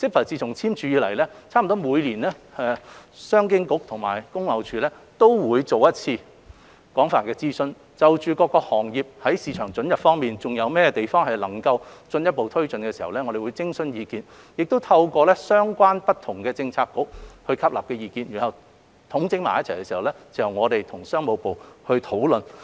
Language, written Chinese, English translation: Cantonese, 自簽署 CEPA 以來，商經局和工業貿易署幾乎每年都會作一次廣泛諮詢，就各行業在市場准入方面如何進一步推進徵詢意見，亦透過相關政策局吸納不同意見，整理之後由商經局與商務部討論。, Since the signing of CEPA CEDB and the Trade and Industry Department TID have conducted extensive consultations almost every year to seek views on how to further take forward the opening up of market access for various sectors while taking on board different views gathered through relevant Policy Bureaux for discussion with the Ministry of Commerce upon consolidation of those views